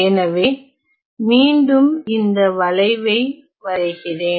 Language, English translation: Tamil, So, again I am drawing this curve again